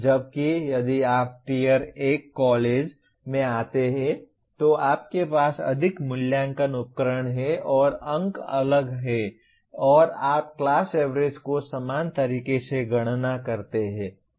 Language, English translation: Hindi, Whereas if you come to Tier 1 college, you have more assessment instruments and the marks are different and you compute the class averages in a similar way